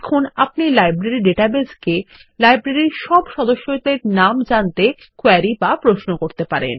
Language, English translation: Bengali, Now we can query the Library database for all the members of the Library